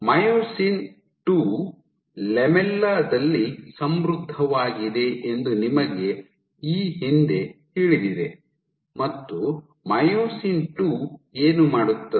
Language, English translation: Kannada, So, you know previously that myosin II, this was enriched in the lamella, and what is myosin II do